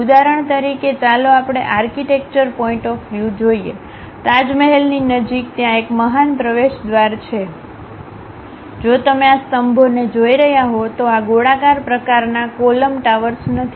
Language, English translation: Gujarati, For example, here let us look at for architecture point of view, near Taj Mahal, there is an entrance gate the great tower, if you are looking at these columns these are not rounded kind of column towers